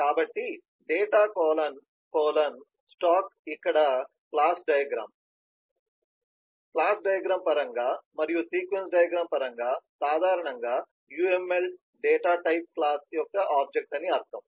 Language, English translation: Telugu, so data colon colon stock here in terms of the class diagram and in terms of the sequence diagram, the uml in general, would mean the data is an object of the type class